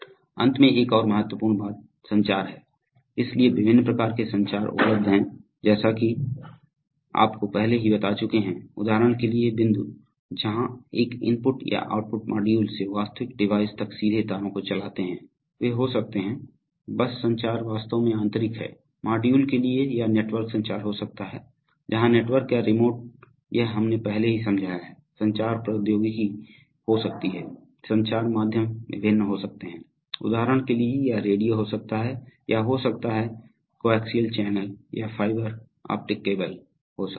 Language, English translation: Hindi, Finally another very important thing is communication, so there are various types of communications available as you have already told, for example point to point where you run direct wires from an, from an input or output module to the actual device, they could be, bus communication is actually internal to the, to the modules or you could be network communications, where network or remote, this we have already explained, communication technology could be, communication medium can be various, for example it can be radio, it can be coaxial channels, it can be fiber optic cables